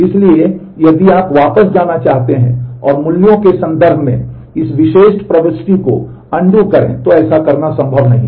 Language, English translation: Hindi, So, if you now want to just go back and undo this particular insert in terms of values, it is not possible to do that